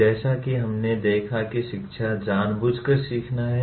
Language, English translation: Hindi, Education as we noted is intentional learning